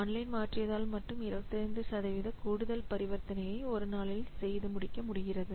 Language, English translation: Tamil, So, now due to making the online, 25% more transactions are completed per day